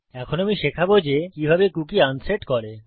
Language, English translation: Bengali, Now Ill teach you how to unset a cookie